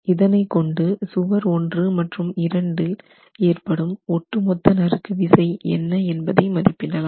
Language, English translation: Tamil, So, this helps you to establish what is the total shear force expected in wall 1 and wall 2